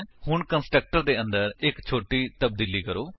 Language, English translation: Punjabi, Now, let us make a small change inside the constructor